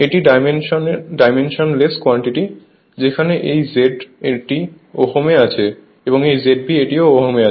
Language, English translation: Bengali, It is dimensionless quantity, where this Z in ohm this Z base is also ohm